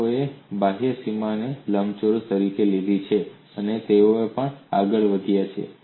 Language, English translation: Gujarati, People have taken the outer boundary, as rectangle and they have also proceeded